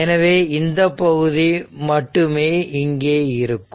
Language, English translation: Tamil, So, only this part is there so let me clear it